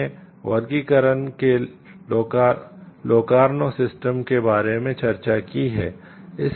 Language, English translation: Hindi, We can also discussed about the like we have discussed about the Locarno system of classification